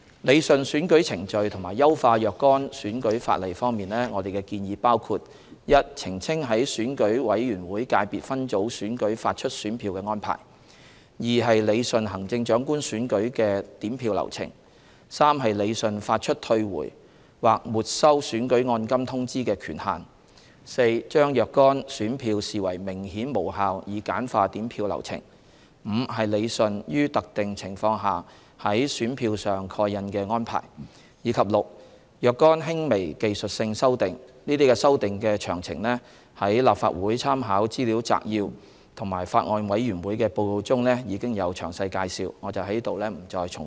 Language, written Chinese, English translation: Cantonese, 理順選舉程序及優化若干選舉法例方面，我們的建議包括： a 澄清在選舉委員會界別分組選舉發出選票的安排； b 理順行政長官選舉的點票流程； c 理順發出退回或沒收選舉按金通知的權限； d 將若干選票視為明顯無效以簡化點票流程； e 理順於特定情況下在選票上蓋印的安排；及 f 若干輕微技術性修訂，這些修訂的詳情在立法會參考資料摘要和法案委員會的報告中已有詳細介紹，我在此不再重複。, With regard to rationalizing electoral procedures and improving certain electoral laws our proposals include a Clarification of issuance of ballot papers in Election Committee Subsector elections; b Rationalization of counting process for Chief Executive elections; c Rationalization of the authority for issuing the notification for returning or forfeiting election deposits; d Classification of certain ballot papers as clearly invalid to streamline the counting process; e Rationalization of the stamping arrangements for ballot papers under specified circumstances; and f Some minor technical amendments of which details are set out in the Legislative Council Brief and the Report of the Bills Committee . I will not repeat them here